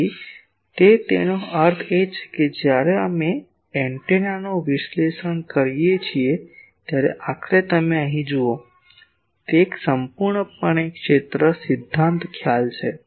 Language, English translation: Gujarati, So, that; that means, ultimately here you see when we analyse the antenna; it is a completely field theory concept